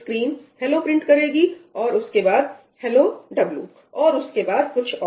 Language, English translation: Hindi, The screen will print ‘hello’ followed by ‘hello w’, and then maybe something else